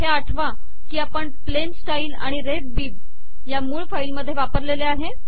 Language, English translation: Marathi, Recall that we used plain style and ref bib in the source file